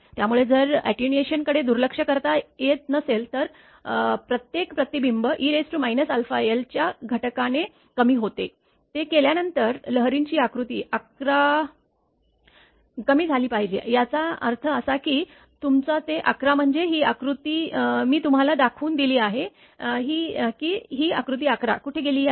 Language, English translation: Marathi, So, if the attenuation cannot be neglected right then figure 11 the amplitude of the wave after each reflection should be reduced by a factor of e to the power minus alpha l; that means, that your figure 11 means this figure right just hold on I have showed you that the this figure where figure 11 has gone